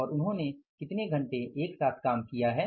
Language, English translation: Hindi, And for how many hours they have worked together